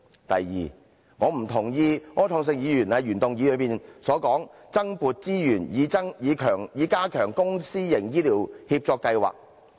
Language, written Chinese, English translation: Cantonese, 第二，我不認同柯創盛議員在原議案提出，增撥資源以加強公私營醫療協作計劃。, Second I do not agree with Mr Wilson ORs proposal in the original motion for allocating additional resources to enhance the public - private partnership programme in healthcare